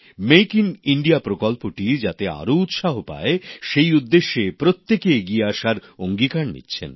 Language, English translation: Bengali, In order to encourage "Make in India" everyone is expressing one's own resolve